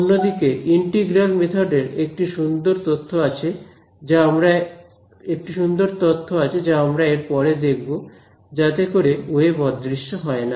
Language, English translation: Bengali, On the other hand, integral methods have a very beautiful theory within them which we will study which do not allow the wave to disperse